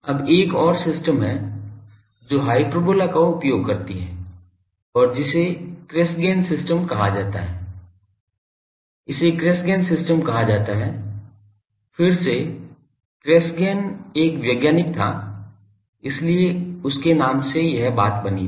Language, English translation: Hindi, Now there is another system which uses the hyperbola and that is called Cassegrain system this is called Cassegrain system there the subreflector is again Cassegrain was a scientist so, in his name this thing